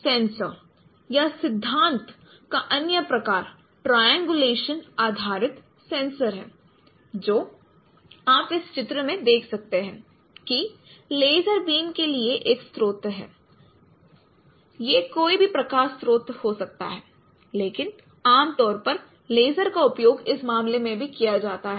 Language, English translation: Hindi, The other kind of sensor other kind of principle is triangular triangulation based sensors where you can see in this particular diagram that there is a source for laser beam it could be any light source but usually lasers are used for in this case also